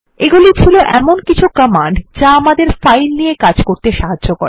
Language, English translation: Bengali, These were some of the commands that help us to work with files